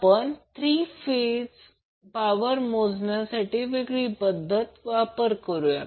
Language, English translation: Marathi, Will use different techniques for three phase power measurement